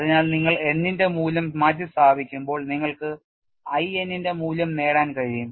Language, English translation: Malayalam, So, when you substitute the value of n you will be able to get the value of I n some representative values are shown